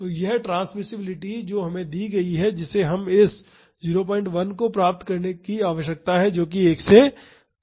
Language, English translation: Hindi, So, this transmissibility which is given us which we need to achieve this 0